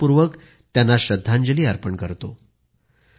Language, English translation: Marathi, I most respectfully pay my tributes to her